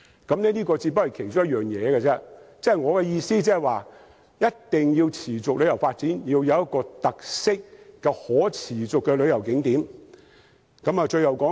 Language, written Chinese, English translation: Cantonese, 這只是其中一個建議，我的意思是旅遊業若要持續發展，定必要有一些具特色及可持續的旅遊景點。, It is only one of the many recommendations to consider . My point is that if the tourism industry is to develop in a sustainable manner we must have sustainable tourist attractions with our own characteristics